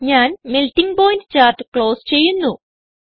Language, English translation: Malayalam, I will close Melting point chart